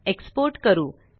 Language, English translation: Marathi, .Let us export